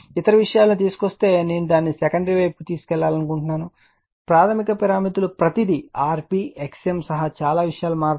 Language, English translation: Telugu, If you bring that other things suppose I want to take it to the secondary side the primary parameters that many things will change including your rp xm everything